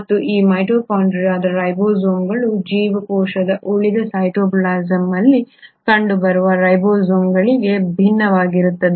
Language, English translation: Kannada, And these mitochondrial ribosomes are, mind you, are different from the ribosomes which will be seen in the cytoplasm of the rest of the cell